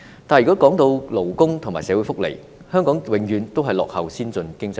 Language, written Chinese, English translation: Cantonese, 但是，如果說到勞工和社會福利，香港永遠也落後於先進經濟體。, However when it comes to labour and social welfare Hong Kong always lags behind the advanced economies